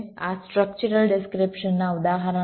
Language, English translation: Gujarati, these are examples of structural descriptions